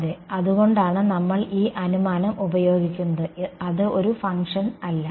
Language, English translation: Malayalam, Yes, that is why we use this assumption that is not it is not a function